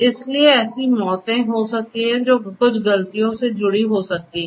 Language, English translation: Hindi, So, there might be deaths that might be associated with certain mistakes